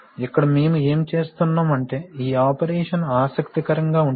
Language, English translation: Telugu, So here what we are doing is that very, this operation is interesting